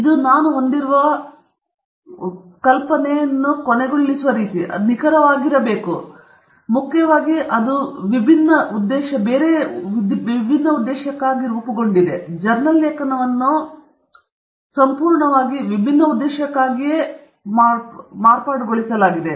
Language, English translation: Kannada, That’s kind of imagination that we end up having, and that’s exactly wrong, primarily because that was intended for a totally different purpose, a journal article is intended for a totally different purpose